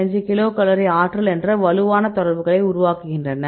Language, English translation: Tamil, 5 kilocal per mole they are making very strong interactions